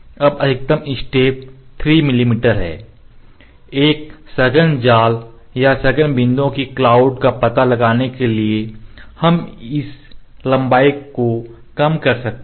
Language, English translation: Hindi, Now maximum step is 3 mm, this step is 3 mm to locate a dancer mesh or dancer point cloud we can reduce this length ok